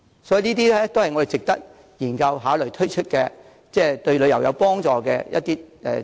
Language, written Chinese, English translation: Cantonese, 所以，這些都是值得我們研究和考慮推出，對旅遊業有幫助的項目。, Therefore we should explore these items further so that promotional campaigns might be launched to help boost tourism